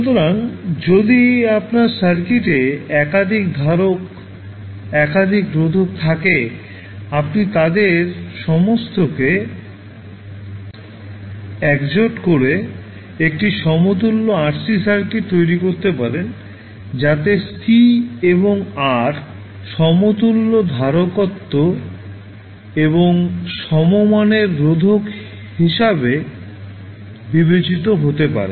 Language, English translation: Bengali, So, if you have multiple capacitors multiple resistors in the circuit, you can club all of them and create an equivalent RC circuit, so where c and r can be considered as an equivalent capacitance and equivalent resistance